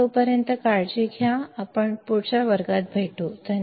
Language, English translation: Marathi, Till then take care, I will see you all in the next class, bye